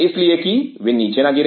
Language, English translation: Hindi, So, that they do not fall down